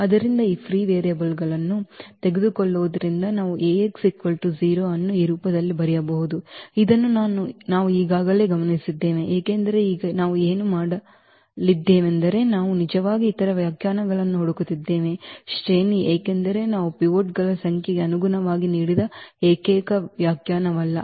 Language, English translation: Kannada, So, taking this free variables we can write down this Ax is equal to 0, the solution of this Ax is equal to 0 in this form which we have already observed because now what we are going to do we are actually we are looking for the other definitions of the rank because that is not the only definition which we have given in terms of the number of pivots